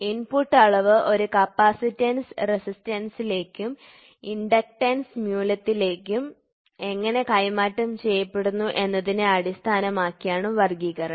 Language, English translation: Malayalam, The classification is based on how the input quantity is transduced into a capacitance resistance and inductance value, ok